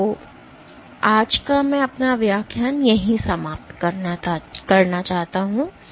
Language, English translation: Hindi, So, with that I end our lecture today